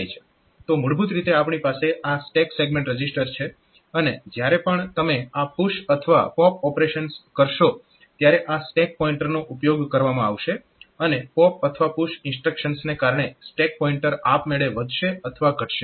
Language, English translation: Gujarati, So, basically we have got this stack segment register and then whenever you are doing this push pop operations then this stack pointer will be utilized and the stack pointer will automatically be updated incremented or decremented due to pop or push instructions